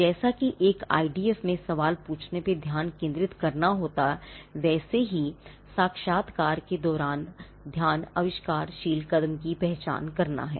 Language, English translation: Hindi, Now, the focus during the interview, as is the focus in asking questions in an IDF is to identify the inventive step